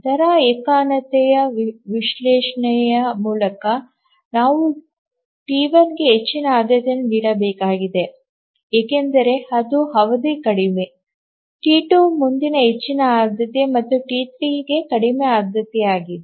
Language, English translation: Kannada, By the rate monotonic analysis we have to give the highest priority to T1 because its period is the shortest, next highest priority to T2 and T3 is the lowest priority